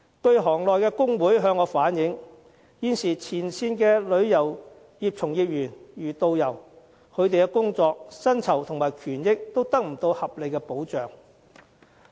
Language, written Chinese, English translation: Cantonese, 據行內工會向我反映，現時前線旅遊業從業員，其工作、薪酬和權益都得不到合理保障。, Some trade union members told me that at present frontline practitioners such as tour guides are not reasonably protected in terms of their work remunerations and rights